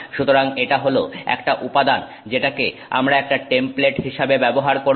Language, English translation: Bengali, So, that is a material which has, which we will use as a template